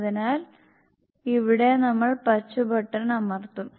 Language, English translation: Malayalam, So here we will press the green button